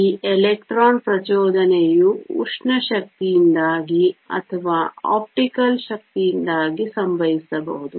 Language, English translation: Kannada, This electron excitation can either occur because of thermal energy or because of optical energy